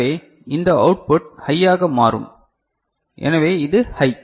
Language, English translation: Tamil, So, this output will become high means this is high